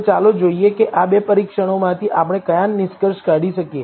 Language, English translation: Gujarati, So, let us see what conclusions can we draw from these two tests